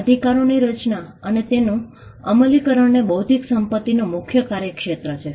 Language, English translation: Gujarati, Rights creation and enforcement is the domain of intellectual property law